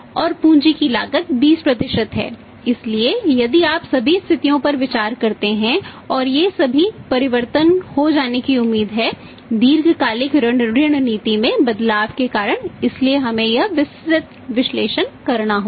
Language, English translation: Hindi, So, if you; and the cost of capital is 20% so if you considered the all the situation of the situation and all these changes which are expected to take place because of the credit policy changes long term credit policy changes then we have to make this detailed analysis